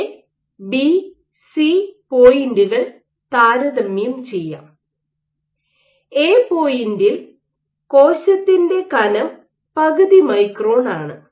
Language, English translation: Malayalam, Let us compare the points A, B and C; at point A, the thickness of the cell might be of the order of half micron